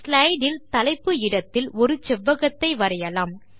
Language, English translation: Tamil, Lets draw a rectangle in the Title area of the slide